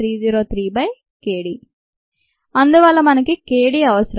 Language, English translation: Telugu, therefore we need k d